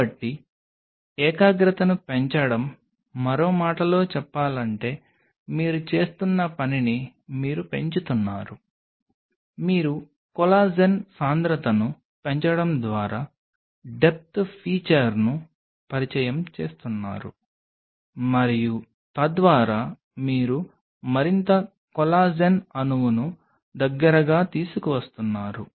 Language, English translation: Telugu, So, increasing the concentration, in another word what you are doing you are increasing the you are introducing a depth feature by increasing the concentration of collagen and thereby you are bringing more collagen molecule close